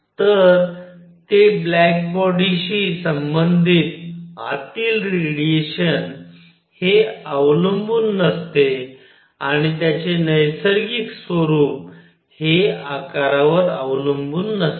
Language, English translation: Marathi, So, it does not depend radiation inside is that corresponding to a black body and its nature does not depend on the shape